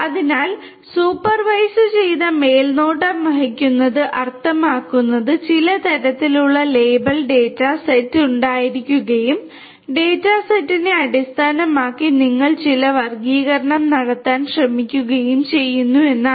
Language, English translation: Malayalam, So, supervised, supervised means that there has to be some kind of label data set and based on the data set you are trying to make certain classification